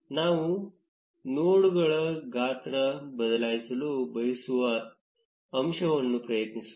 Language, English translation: Kannada, Let us first change the size of the nodes